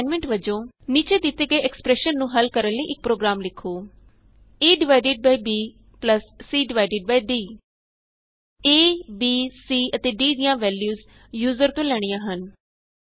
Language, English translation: Punjabi, As an assignment: Write a program to solve the following expression, a divided by b plus c divided by d The values of a, b, c and d are taken as input from the user